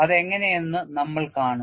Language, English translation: Malayalam, We will see how it is